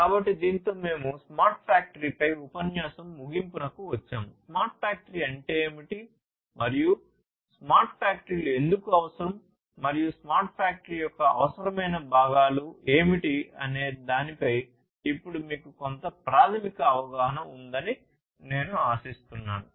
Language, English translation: Telugu, So, with this we come to an end of the lecture on smart factory, I hope that by now you have some basic understanding about what smart factory is, and why smart factories are required, and what are the essential constituents of a smart factory